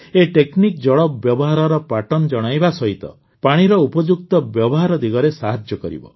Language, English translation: Odia, This technology will tell us about the patterns of water usage and will help in effective use of water